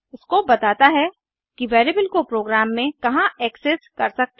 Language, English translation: Hindi, Scope defines where in a program a variable is accessible